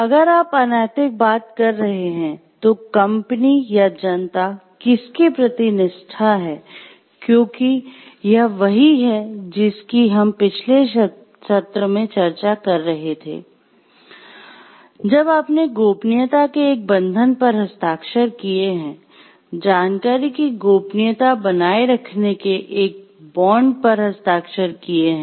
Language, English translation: Hindi, So, loyalty to whom to the company or to the public at large, if you are talking of , because that is what we were discussing in the last, last session that if you see that your, you have signed a bond of confidentiality of, signed a bond of maintaining secrecy of your information